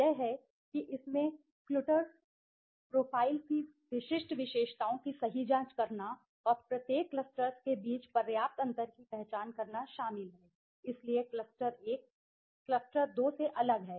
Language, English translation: Hindi, The cluster, the interpretation is that it involves the examining the distinguished characteristics of the clutters profile right and identify the substantial differences between each clusters, so cluster 1 is different from cluster 2